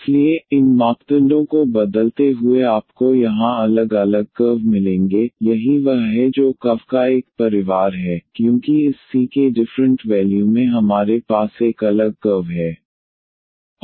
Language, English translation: Hindi, So, changing these parameters you will get different different curves here, that is what it is a family of the curves because different values of this c’s we have a different curve